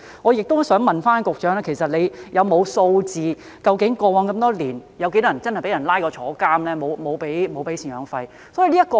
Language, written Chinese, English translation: Cantonese, 我想問局長，有否備存數字，顯示過往這麼多年，究竟有多少人真的因為沒有支付贍養費而被捕入獄呢？, May I ask the Secretary whether he has compiled any statistics on how many people have really been arrested and imprisoned for failing to pay maintenance over the years?